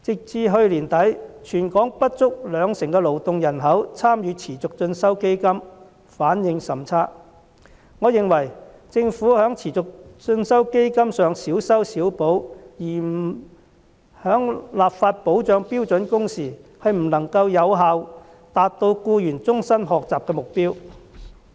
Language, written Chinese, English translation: Cantonese, 至去年年底，全港不足兩成勞動人口參與持續進修基金，反應甚差，我認為政府在持續進修基金上小修小補，而不立法保障標準工時，不能有效達到僱員終身學習的目標。, As at the end of last year less than 20 % of the labour force in Hong Kong had participated in the training programmes under the Continuing Education Fund a rather poor response . In my opinion the goal of lifelong learning pursued by employees will not be able to be achieved effectively if the Government only focuses on minor fine tuning of the Continuing Education Fund without introducing legislation on standard working hours